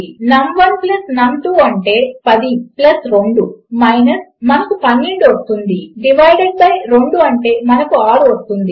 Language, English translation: Telugu, So, here what it will do is num1 plus num2 which is 10 plus 2 which gives us 12 divided by 2 which should give us 6